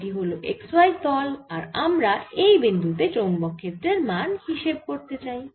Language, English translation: Bengali, this is the x, y plane and here is the point where we want to find the magnetic field